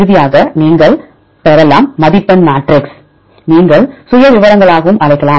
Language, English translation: Tamil, Finally, you can get the scoring matrix you can also call as profiles